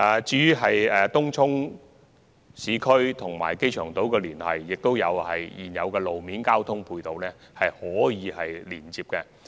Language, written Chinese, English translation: Cantonese, 至於東涌、市區和機場島的連繫，現有的道路交通配套可提供連接。, As for the connection among Tung Chung urban districts and the airport island the existing ancillary road and transport facilities are able to offer such connection